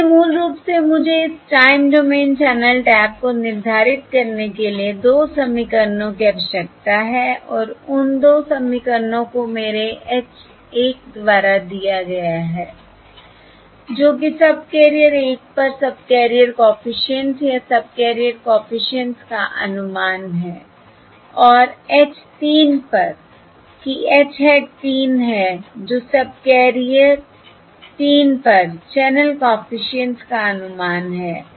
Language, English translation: Hindi, So basically, I need to 2 equations to determine this time domain channel taps, and those 2 equations are given by my capital H 1, that is the subcarrier coefficient or estimate of the subcarrier coefficient on subcarrier 1, and capital H 3, that is um capital H hat 3, that is the estimate of the channel coefficient on subcarrier 3